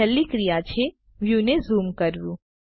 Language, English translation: Gujarati, Last action is Zooming the view